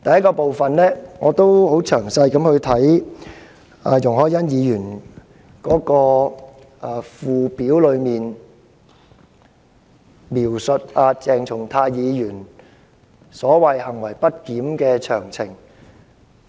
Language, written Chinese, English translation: Cantonese, 第一，我曾仔細研究容海恩議員所提議案的附表，當中載列了鄭松泰議員所謂的"行為不檢的詳情"。, To begin with I wish to say that I have carefully studied the Schedule to Ms YUNG Hoi - yans motion . It particularizes the details on the so - called misbehaviour on the part of Dr CHENG Chung - tai